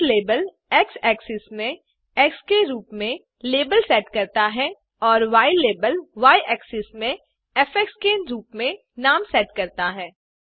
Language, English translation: Hindi, xlabel sets the label to x axis as x and ylabel sets the name to the y axis as f